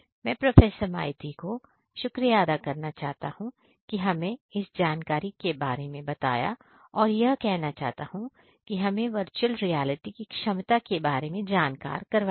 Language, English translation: Hindi, Thank you Professor Maiti for adding to the information that we already have and so as we have seen that there is enormous potential of the use of virtual reality